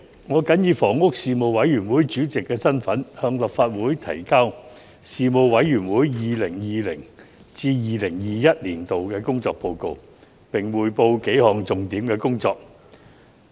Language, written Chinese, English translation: Cantonese, 我謹以房屋事務委員會主席的身份，向立法會提交事務委員會 2020-2021 年度的工作報告，並匯報幾項重點工作。, President in my capacity as Chairman of the Panel on Housing the Panel I submit to the Council the work report of the Panel for the 2020 - 2021 session and give an account on its work in several key areas